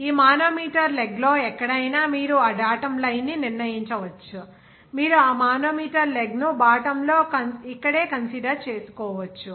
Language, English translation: Telugu, You can decide that datum line anywhere in this manometer leg, maybe you can consider at the bottom of this manometer leg here itself